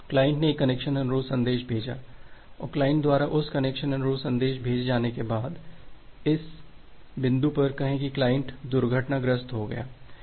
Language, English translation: Hindi, So, the client has sent one connection request message, after the client has sent that connection request message, say at this point the client has crashed